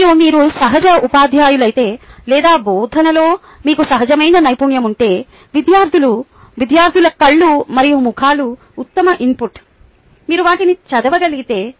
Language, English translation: Telugu, and if you are a natural teacher or if you have a natural skill for teaching, the eyes and faces of the students are the best input that anyone can get, assuming that you have, you can read them